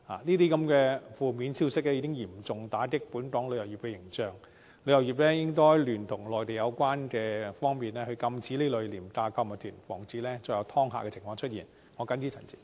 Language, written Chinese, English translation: Cantonese, 這些負面消息已嚴重打擊本港旅遊業的形象，旅遊業應聯同內地有關方面禁止這類廉價購物團，防止再有"劏客"情況出現。, The negative news has dealt a serious blow to our tourism image . The tourism industry should join hands with the Mainland authorities concerned to prohibit these low - fare shopping tours so as to prevent visitors from being ripped off again